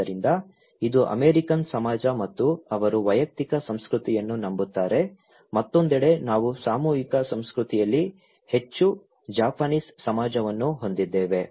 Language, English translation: Kannada, So, this is American society and they believe in individualistic culture, on the other hand, we have Japanese society which is more in collective culture